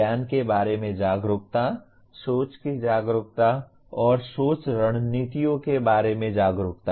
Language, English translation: Hindi, Awareness of knowledge, awareness of thinking, and awareness of thinking strategies